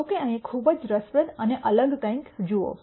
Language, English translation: Gujarati, However, notice something very interesting and di erent here